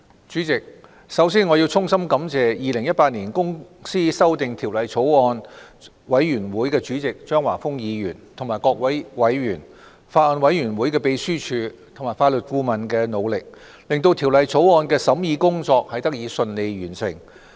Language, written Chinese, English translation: Cantonese, 主席，首先，我要衷心感謝《2018年公司條例草案》委員會主席張華峰議員和各位委員、法案委員會秘書處和法律顧問的努力，令《2018年公司條例草案》的審議工作得以順利完成。, President first of all I must extend my heartfelt thanks to Mr Christopher CHEUNG Chairman of the Bills Committee on Companies Amendment Bill 2018 members of the Bills Committee clerk to the Bills Committee and Legal Adviser for their efforts in enabling the scrutiny of the Companies Amendment Bill 2018 the Bill to be completed smoothly